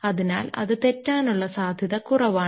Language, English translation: Malayalam, So, you have a lesser margin of error